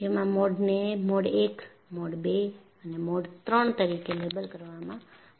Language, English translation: Gujarati, And, these are labeled as Mode I, Mode II and Mode III